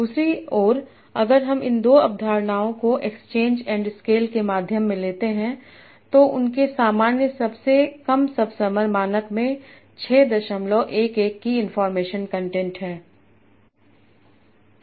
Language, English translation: Hindi, On the other hand, if I take these two concepts, medium of exchange and scale, they allow as common subsumer standard has an information content of 6